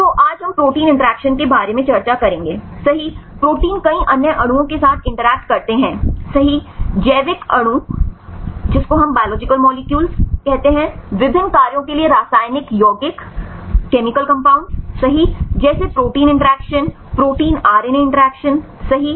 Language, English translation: Hindi, So, today we will discuss about the protein interactions right proteins interact with several other molecules right biological molecules, chemical compounds right for various functions, like protein interactions, protein RNA interactions right